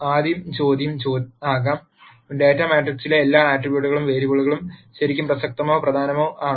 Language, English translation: Malayalam, The rst question might be; Are all the attributes or variables in the data matrix really relevant or impor tant